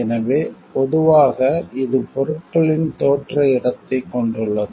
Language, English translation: Tamil, So, it commonly it consist of the place of origin of the goods